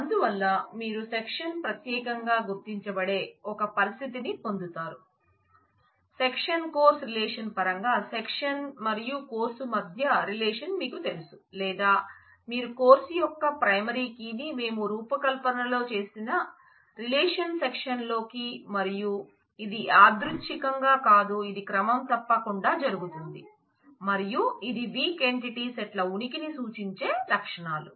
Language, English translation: Telugu, So, you get into a situation where the course the section gets identified uniquely provided, either you know the relationship between the section and the course in terms of the sec course relationship or you include the primary key of course, into the relation section which we did in the design and this is not a coincidence this is something which happens regularly and is is the characteristics that specify the existence of weak entity sets